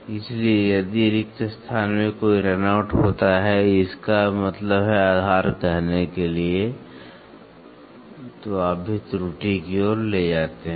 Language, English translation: Hindi, So, if there is a run out in the blank; that means, to say base so, then that you also leads to error